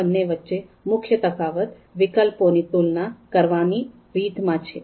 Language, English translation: Gujarati, The main difference is the way alternatives are compared